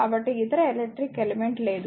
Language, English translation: Telugu, So, no other electrical element is there